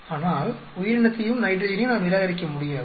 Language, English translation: Tamil, But we cannot reject the organism and nitrogen